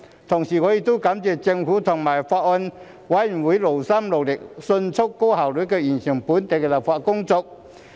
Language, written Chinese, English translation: Cantonese, 同時我亦感謝政府和法案委員會勞心勞力，迅速高效地完成本地立法工作。, I also thank the Government and the Bills Committee for their efforts and efficiency in completing the local legislative work